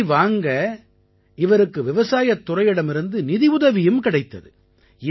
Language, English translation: Tamil, For this, he also received financial assistance from the Agricultural department